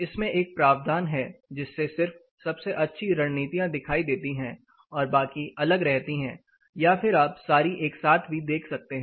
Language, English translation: Hindi, There is a provision it will just show best of strategies the rest of it will be kept a side or you can see all the strategies as well together